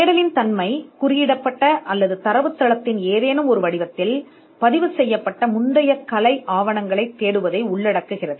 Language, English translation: Tamil, The very nature of search involves looking for prior art documents which are codified, or which are recorded in some form of a database